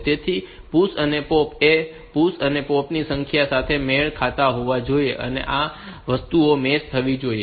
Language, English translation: Gujarati, So, this push and pop must match number of push and pops their order and these things should match